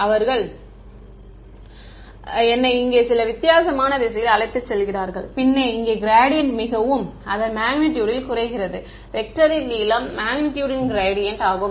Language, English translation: Tamil, They take me in some weird direction over here and then here the gradients become very small in magnitude the length of the vector is the magnitude of the gradient